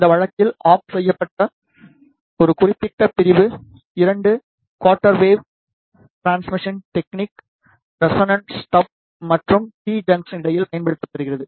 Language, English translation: Tamil, In this case to turn off a particular section 2 quarter wave transformation technique is used between the resonant step and the T junction